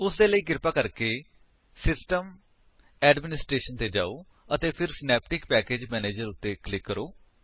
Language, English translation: Punjabi, For that, please go to System Administration and then click on Synaptic Package manager